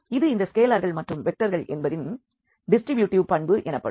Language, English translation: Tamil, This is called the distributive property of this of these scalars and the vectors